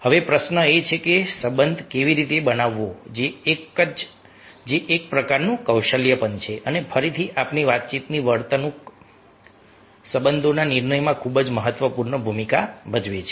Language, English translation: Gujarati, now the question is that a how to build relationship, that also a some sort of a skill and, again, our communication behavior playing very, very vital role in building relationships